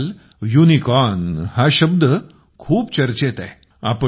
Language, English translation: Marathi, These days the word 'Unicorn' is in vogue